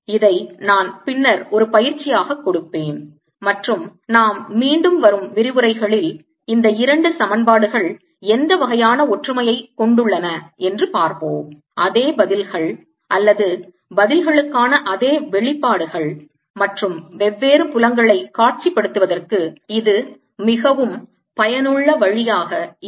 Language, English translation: Tamil, this i'll give as an exercise later and we will again see in coming lectures, that this kind of similarity of equations, these two same answers or same expressions for the answers, and that becomes a very useful way of visualizing different feels